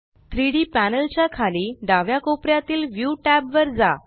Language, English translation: Marathi, Go to view tab in the bottom left corner of the 3D panel